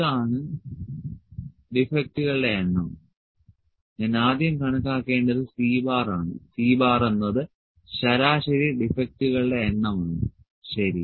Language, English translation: Malayalam, So, this is number of defects, first thing I need to calculate is C bar, C bar is the average number of defects, ok